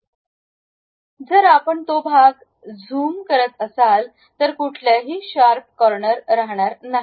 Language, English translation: Marathi, Then if we are zooming that portion it will not be any more a sharp corner